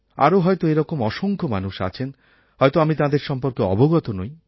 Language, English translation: Bengali, And surely there must be countless people like them about whom I have no information